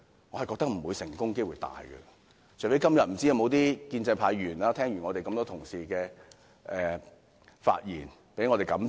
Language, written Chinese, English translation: Cantonese, 我覺得成功機會不大，除非今天有些建制派議員聽完這麼多位同事的發言後，受到感召。, I do not think the chance of success is big unless some pro - establishment Members are persuaded by our speeches today